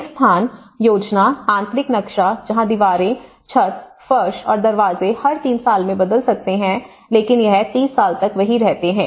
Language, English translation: Hindi, A space plan, an interior layout, where walls, ceilings, floors and doors go commercial spaces can change as often as every 3 years and remain the same for 30 years